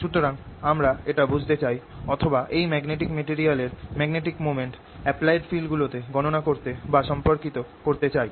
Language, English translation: Bengali, so we want to understand this or be able to calculate or relate the magnetic moment of these media right magnetic material to apply it, fields and so on